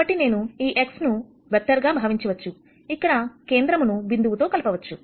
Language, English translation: Telugu, So, I could think of this X as a vector, where I connect origin to the point